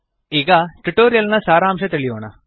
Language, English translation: Kannada, Lets summarize the tutorial